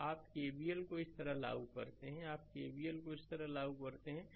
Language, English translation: Hindi, So, you apply KVL like this, you apply KVL like this